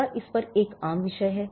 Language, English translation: Hindi, Is there a common theme over it